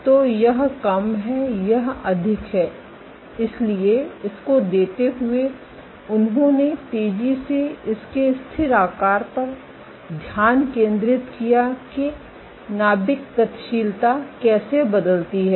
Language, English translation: Hindi, So, this is less this is more so given this they make fast that focus at this is static shape, how does the nuclear dynamics change